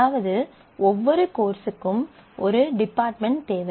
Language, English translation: Tamil, Certainly, every instructor must have a department